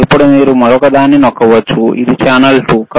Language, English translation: Telugu, nNow can you press another one, more time this is channel 2 right